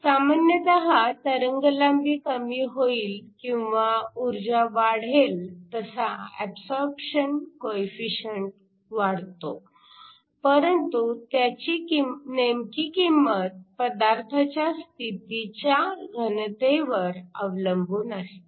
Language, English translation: Marathi, Typically, the absorption coefficient increases as the wave length goes down or the energy increases, but the actual value depends upon the density of states of the material